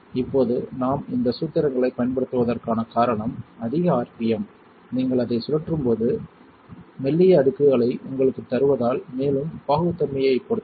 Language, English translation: Tamil, Now the reason why we use these formulas because higher rpm give you thinner layers of sub when you spin it is and also depends on the viscosity